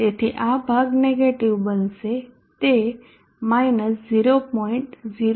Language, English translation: Gujarati, To this portion will become negative it is 0